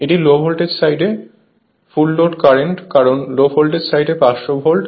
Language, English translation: Bengali, This is full load current at the low voltage side because 500 volt on the low voltage side right